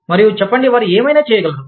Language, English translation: Telugu, And, say, whatever they can